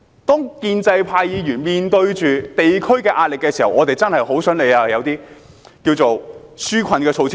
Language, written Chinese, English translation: Cantonese, 當建制派議員面對地區壓力的時候，我們真的很想政府提供一些紓困措施。, When faced with pressure from the districts we pro - establishment Members really want the Government to introduce some relief measures